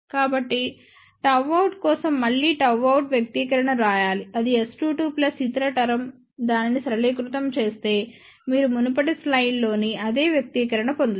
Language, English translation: Telugu, So, again for gamma out you have to write the expression of gamma out which is S 2 2 plus the other term, simplify it, you will get the same expression as in the previous slide